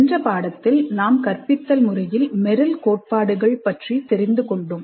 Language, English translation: Tamil, In the earlier unit, we understood instruction design based on Merrill's principles